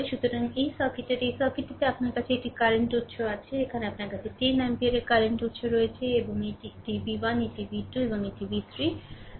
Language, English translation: Bengali, So, in this circuit in this circuit, you have a you have a current source, here you have a current sources of 10 ampere, right and this is this is v 1 this is v 2 and this is v 3, right